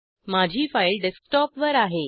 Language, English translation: Marathi, My file is located on the Desktop